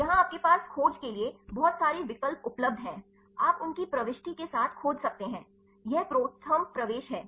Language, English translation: Hindi, Right here you have a lot of options available to search, you can search with their entry this is the ProTherm entry